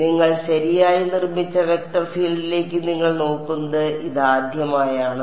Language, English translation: Malayalam, So, this is probably the first time you are looking at a vector field where which you have constructed right